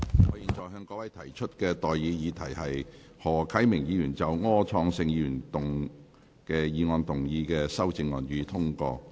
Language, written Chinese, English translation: Cantonese, 我現在向各位提出的待議議題是：何啟明議員就柯創盛議員議案動議的修正案，予以通過。, I now propose the question to you and that is That the amendment moved by Mr HO Kai - ming to Mr Wilson ORs motion be passed